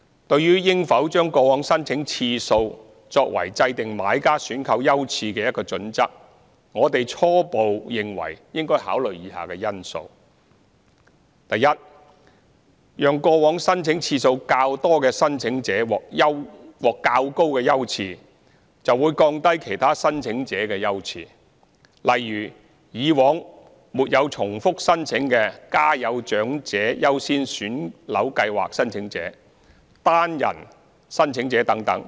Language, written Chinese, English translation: Cantonese, 對於應否將過往申請次數作為制訂買家選購優次的一個準則，我們初步認為應考慮以下因素： a 讓過往申請次數較多的申請者獲較高優次，會降低其他申請者的優次，例如以往沒有重複申請的"家有長者優先選樓計劃"申請者、單人申請者等。, As to whether the number of times a buyer has applied for SSFs in the past should be adopted as a criterion for determining the buyers priority for purchasing our initial view is that the following factors should be considered a According a higher priority to applicants with more previous applications means a lower priority for applicants of other categories such as those under the Priority Scheme for Families with Elderly Members and one - person applicants who did not apply in previous rounds